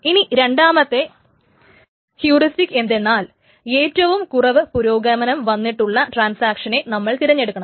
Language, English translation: Malayalam, In the second heuristic what is done is that the transaction with the lowest progress is being chosen